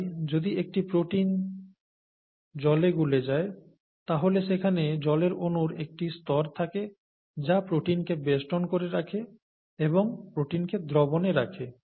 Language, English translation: Bengali, So if a protein is dissolved in water as in the case of a protein in milk, then there is a layer of water molecules that surround the protein and keep the protein in solution, right